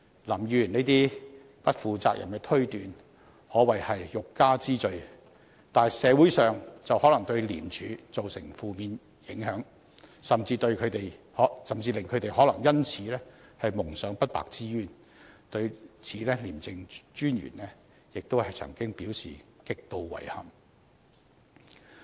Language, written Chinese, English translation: Cantonese, 林議員這些不負責任的推斷，可謂欲加之罪，但社會卻可能因此對廉署產生負面印象，他們甚至可能因而蒙上不白之冤，廉政專員亦曾對此表示極度遺憾。, Such irresponsible conjecture of Mr LAM is only meant to trump up a charge . But then the community may thus form a negative perception of ICAC and ICAC staff may even become victims of wrongful accusations . The ICAC Commissioner has already expressed his great regret at this